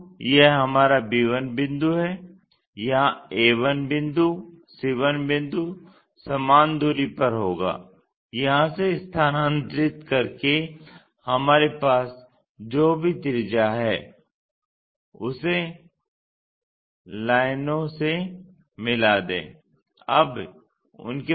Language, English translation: Hindi, So, our b 1 point is, a 1 point here, c 1 point will be the same by transferring from here, whatever the radius we have join this by lines